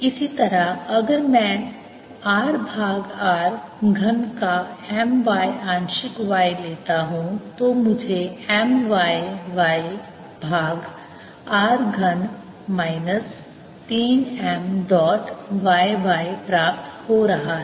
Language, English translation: Hindi, similarly, if i take m y partial y of r over r cubed, i am going to get m y, y over r cubed, minus three m dot y y